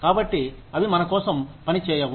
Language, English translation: Telugu, So, they do not work, for us